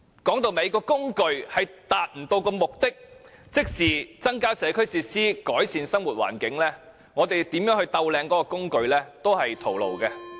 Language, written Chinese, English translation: Cantonese, 說到底，如果這工具不能達到目的，即增加社區設施、改善生活環境，無論我們如何完善它，結果都是徒勞。, All in all if this tool cannot help achieve the goal of increasing the provision of community facilities and improving the living environment any work we do to improve it would just be futile